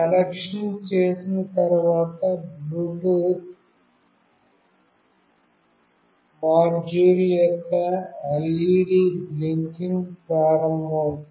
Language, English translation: Telugu, Once the connection is made, the LED of the Bluetooth module will start blinking